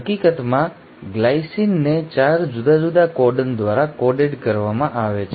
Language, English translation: Gujarati, In fact glycine is coded by 4 different codons